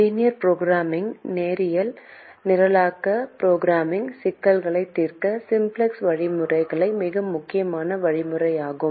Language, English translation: Tamil, the simplex algorithm is the most important algorithm to solve linear programming problems